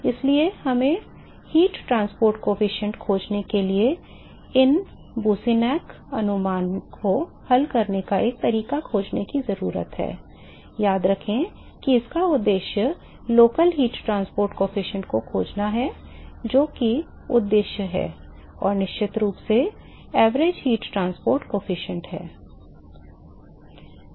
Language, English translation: Hindi, So, we need to find a way to solve these Boussinesq approximation in order to find the heat transport coefficient remember that the objective is to find the local heat transport coefficient, that is the objective and of course, the average heat transport coefficient